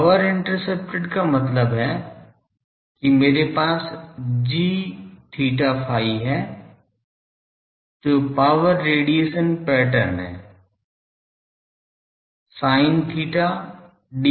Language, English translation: Hindi, Power intercepted means I have g theta phi is the power radiation pattern, sin theta d theta d phi